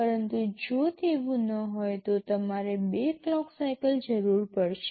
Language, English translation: Gujarati, But if it is not so, you will be requiring 2 clock cycles